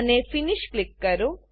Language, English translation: Gujarati, And Click Finish